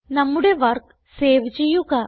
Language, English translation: Malayalam, Let us save our work